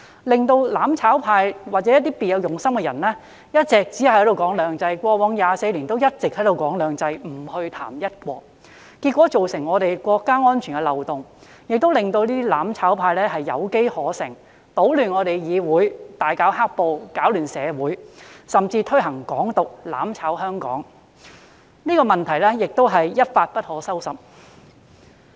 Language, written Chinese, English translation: Cantonese, "攬炒派"或別有用心的人一直強調"兩制"，他們在過去24年來，均一直只談"兩制"而不談"一國"。結果，這變成國家安全漏洞，令"攬炒派"有機可乘，搗亂議會，大搞"黑暴"，擾亂社會秩序，甚至提倡"港獨"，"攬炒"香港，情況一發不可收拾。, Over the past 24 years they talked only about two systems but not one country and this has eventually become a loophole in national security thus giving those seeking mutual destruction the opportunity to take advantage of the situation and disrupt the legislature engage in black - clad violence sabotage social order and even advocate independence of Hong Kong